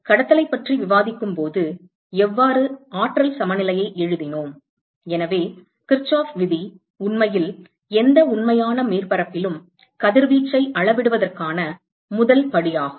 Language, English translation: Tamil, So, just like how we wrote energy balance when we discussed conduction, so, Kirchhoff’s law is actually the first step towards quantifying radiation in any real surface